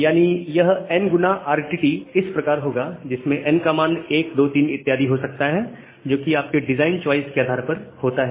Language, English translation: Hindi, Some n x RTT where n can be 2, 3; something like that based on your design choice